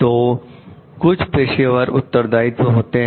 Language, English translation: Hindi, So, these are professional responsibilities